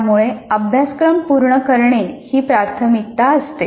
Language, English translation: Marathi, So the covering the syllabus becomes the priority